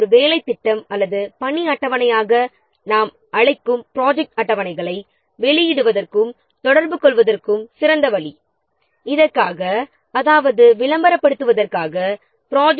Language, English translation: Tamil, Let's see one of the efficient way or best way of publishing and communicating the project schedules that we call as a work plan or a work schedule